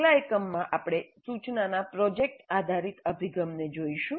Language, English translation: Gujarati, So in the next unit we look at project based approach to instruction